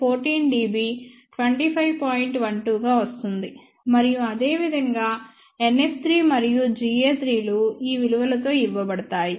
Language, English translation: Telugu, 12 and similarly NF 3 and G a 3 are given by these value